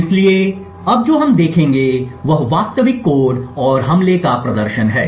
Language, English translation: Hindi, So, what we will see now is the actual code and a demonstration of the attack